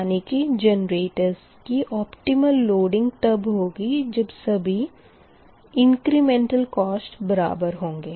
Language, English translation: Hindi, therefore optimal loading of generator occurs correspond to the equal incremental cost